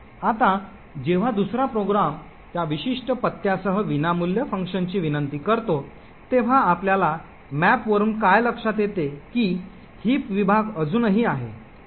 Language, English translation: Marathi, Now when other program next invokes the free function with that particular address, what we notice from the maps is that the heap segment is still present